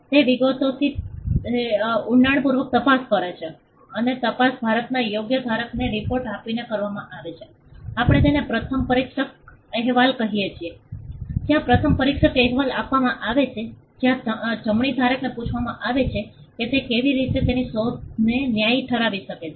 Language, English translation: Gujarati, It also scrutinizes the details in great depth now the scrutiny is done by giving a report to the right holder in India, we call it the first examination report the first examination report is given where the right holder is asked how he can justify his invention in the light of if there are any objections